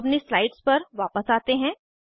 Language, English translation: Hindi, Now let us go back to our slides